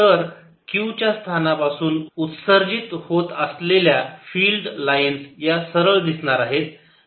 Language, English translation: Marathi, so the field lines are going to look like straight lines emanating from the position of q